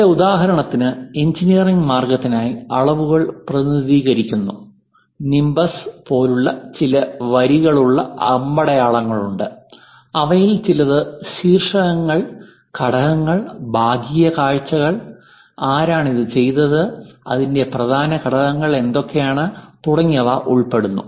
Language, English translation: Malayalam, Here for example for engineering way there are certain lines arrows something like nimbus representing dimensions, and some of them like titles, components, the sectional views, who made that, what are the key components of that and so on so things always be mentioned